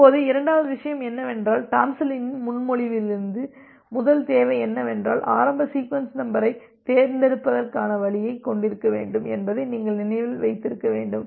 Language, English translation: Tamil, Now, the second thing is that, if you remember that the Tomlinson’s, from the Tomlinson’s proposal that our first requirement was to have a to have a way to selecting the initial sequence number